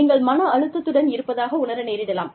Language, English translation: Tamil, You may feel stressed